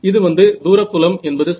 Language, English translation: Tamil, So this is for far field here